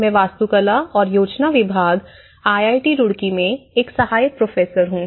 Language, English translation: Hindi, I am an assistant professor from Department of Architecture and Planning, IIT Roorkee